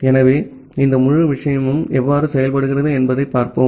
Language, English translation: Tamil, So, let us see that how this entire thing works